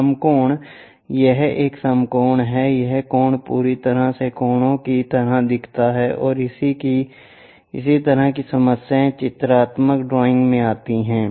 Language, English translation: Hindi, Right angles this one this one this one this right angle completely looks like obtuse kind of angles, this kind of problems comes at pictorial drawing